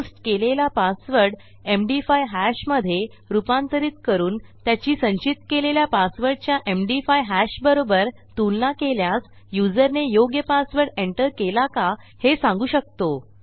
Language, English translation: Marathi, So if you take the MD5 hash of the posted password and compare that to the MD5 hash of the stored password, we can let our user know if theyve entered the correct or right password